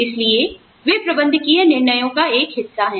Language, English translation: Hindi, So, they form a part of managerial decisions